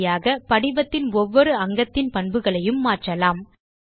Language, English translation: Tamil, In this way, we can modify the properties of individual elements on the form